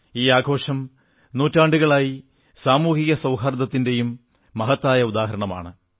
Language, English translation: Malayalam, For centuries, this festival has proved to be a shining example of social harmony